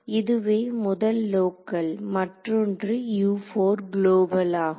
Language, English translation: Tamil, So, this was the first one was local the other one was global